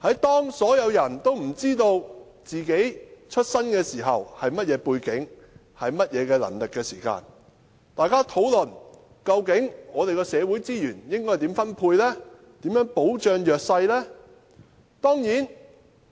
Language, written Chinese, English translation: Cantonese, 當所有人也不知道自己的出身背景和能力時，大家又怎能討論應如何分配社會資源和保障弱勢人士呢？, When all of us are ignorant about our own origins backgrounds and abilities how can we possibly discuss ways to distribute resources in society and protect the disadvantaged?